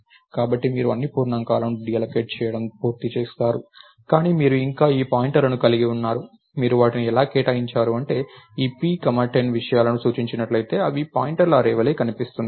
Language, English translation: Telugu, So, you have done with deallocating all the integers, but you still have all these pointers that you allocated right and the way you allocated that was p was pointing to all these 10 things as though, they were an array of pointers